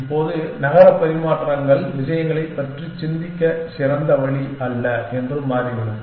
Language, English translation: Tamil, Now, it turns out that city exchanges are not the best way of thinking about things